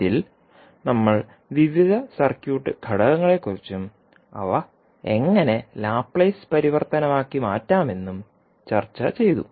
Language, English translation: Malayalam, Now, let us talk about how we will do the circuit analysis using Laplace transform